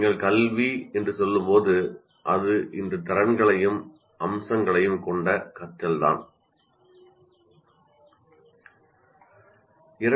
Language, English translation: Tamil, That's what we, when you say education, it is a learning with all these features, all these abilities constitutes education